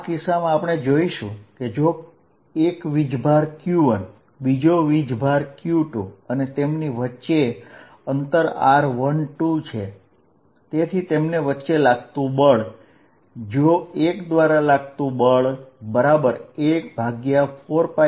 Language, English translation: Gujarati, In particular we learnt, if there is a charge q1, another charge q2 and the distance between them is r12